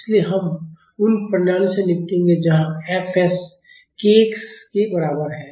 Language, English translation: Hindi, So, we will be dealing with systems where fs is equal to k x